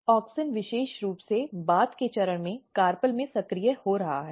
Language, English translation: Hindi, Auxin is very specifically getting activated in the carpel at the later stage